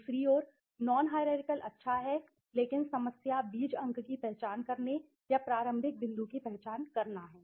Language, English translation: Hindi, On the other hand the non hierarchical is good but the problem is to identifying the seeds points or identified the starting point